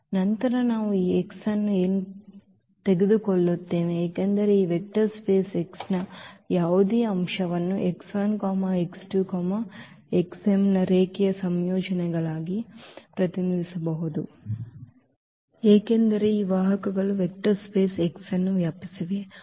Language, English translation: Kannada, And then we take this x because any element of this vector space x can be represented as a linear combinations of x 1 x 2 x 3 x m because these vectors span the vector space X